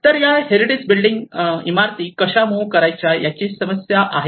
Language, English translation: Marathi, So the problem is how to move these heritage buildings